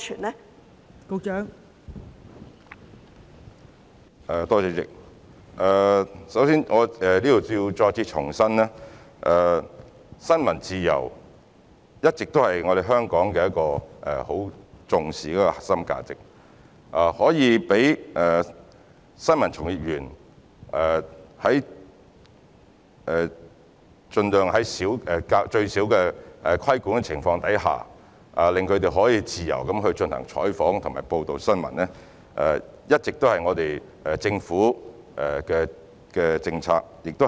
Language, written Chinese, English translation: Cantonese, 代理主席，首先，我想在此再次重申，新聞自由一直是香港很重視的核心價值，讓新聞從業員盡量在最少的規管下自由進行採訪和報道新聞，一向是政府的政策方針。, Deputy President first of all I would reiterate here that freedom of the press has all along been a much treasured core value in Hong Kong and it has been the policy direction of the Government to enable journalists to freely cover and report news with a minimum level of regulation